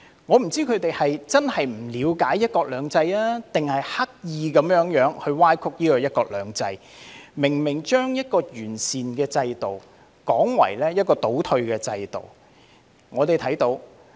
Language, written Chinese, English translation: Cantonese, 我不知道他們是真的不了解"一國兩制"，還是刻意歪曲"一國兩制"，把一個明明是完善的制度說成倒退的制度。, I wonder if they genuinely do not understand one country two systems or they are deliberately distorting one country two systems in describing a clearly improved system as a retrograde system